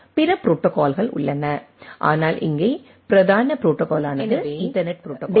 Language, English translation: Tamil, There are other protocols, but the predominant protocol here is the Ethernet protocol